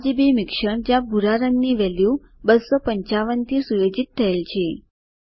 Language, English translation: Gujarati, RGB combination where blue value is set to 255